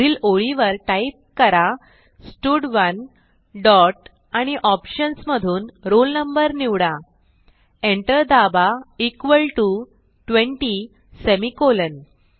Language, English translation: Marathi, Next line type stud1 dot selectroll no press enter equal to 20 semicolon